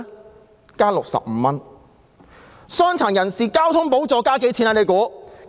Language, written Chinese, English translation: Cantonese, 大家猜猜，傷殘人士交通補助又增加了多少？, Guess how much has the transport subsidy for persons with disability increased?